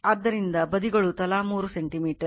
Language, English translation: Kannada, So, your right sides are 3 centimeter each